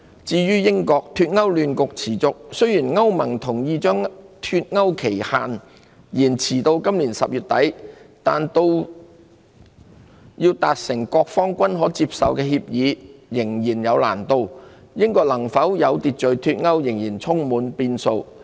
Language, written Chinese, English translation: Cantonese, 至於英國，脫歐亂局持續，雖然歐洲聯盟同意將脫歐期限延遲至今年10月底，但要達成各方均可接受的協議仍有難度，英國能否有序脫歐仍充滿變數。, As for the United Kingdom the Brexit turmoil persists . While the European Union has agreed to extend the Brexit deadline until the end of October this year an orderly exit of the United Kingdom from the European Union is far from certain as the challenge of reaching a deal acceptable to the various parties remains daunting